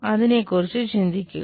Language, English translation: Malayalam, Think about it